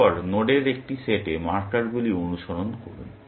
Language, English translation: Bengali, Then, follow the markers to a set of nodes